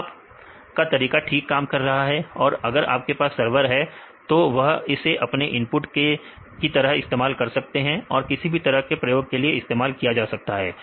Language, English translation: Hindi, So, your methods works fine and if you have a server then they can use this as their inputs and this can be used for doing any experiments